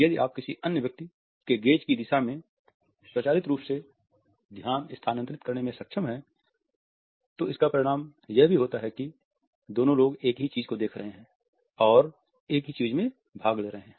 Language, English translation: Hindi, If you are able to automatically shift attention in the direction of another person’s gaze, it also results in both people looking at the same thing and attending to the same thing